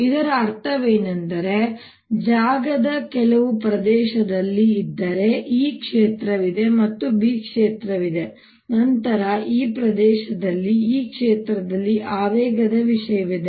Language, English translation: Kannada, what it means is if there is in some region of space there is e field and there is b field, then in this region there is momentum content in this field